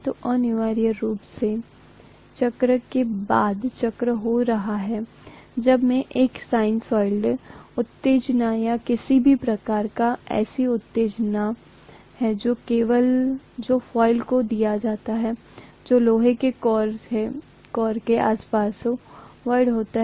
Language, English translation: Hindi, So this is essentially happening cycle after cycle when I am having a sinusoidal excitation or any kind of AC excitation that is given to the coil which is wound around an iron core, right